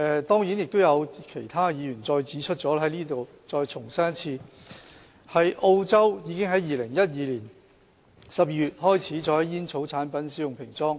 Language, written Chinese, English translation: Cantonese, 當然，其他議員亦已指出，我在此重申，澳洲在2012年12月開始在煙草產品使用平裝。, Certainly as pointed out by other Members let me reiterate that Australia has implemented plain packaging for tobacco products since December 2012